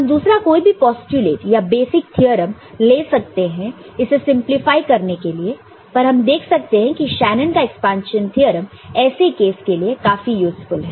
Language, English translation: Hindi, And we could have taken other you know, postulates and basic theorems also to simplify it, but we see that Shanon’s expansion theorem can also be useful in such a case